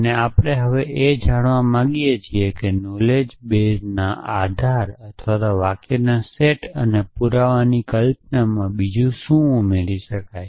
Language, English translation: Gujarati, And we want to find out now, what else can be add to the knowledge base of the database or set of sentences s and the notion of proof